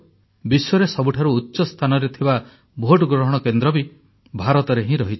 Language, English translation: Odia, The world's highest located polling station too, is in India